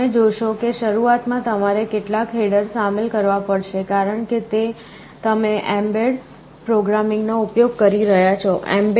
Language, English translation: Gujarati, You see at the beginning you have to include some headers, because you are using the bed programming environment, mbed